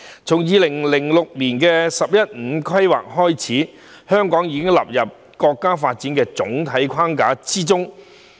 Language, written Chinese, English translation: Cantonese, 自2006年的"十一五"規劃開始，香港獲納入國家發展的總體框架。, Ever since the 11th Five - Year Plan which was formulated in 2006 Hong Kong has been included as part of the overall framework of national development